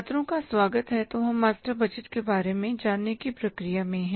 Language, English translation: Hindi, So, we are in the process of learning about the master budget